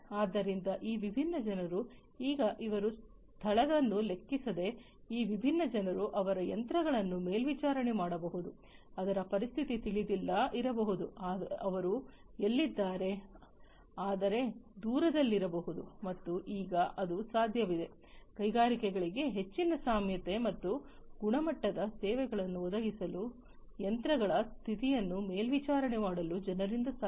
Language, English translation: Kannada, So, regardless of the location of where these different people are now it is possible that these different people, they can monitor the machines, which may not be located where they are, but might be located distance apart, and it is now possible for people to monitor the condition of the machines to provide more flexibility and quality services to the industries